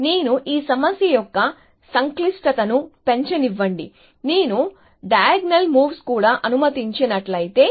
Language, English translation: Telugu, So, I will come back to this problem; let me increase the complexity of this problem, what if I allowed diagonal moves as well